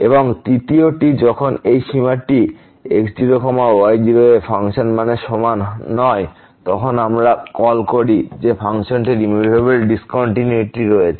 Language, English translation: Bengali, And the third one when this limit is not equal to the function value at naught naught, then we call that the function has removable discontinuity